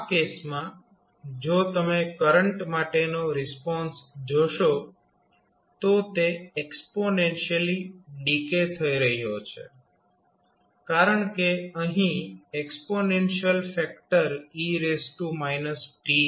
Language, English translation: Gujarati, In that case if you see the response for current it would be exponentially decaying because of the exponential factor of e to power minus factor which you have